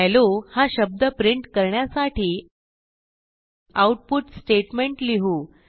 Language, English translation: Marathi, We will type the output statement to print the word hello